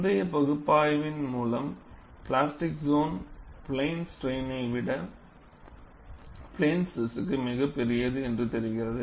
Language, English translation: Tamil, The previous analysis has brought out the fact that, the plastic zone is much larger for plane stress than plane strain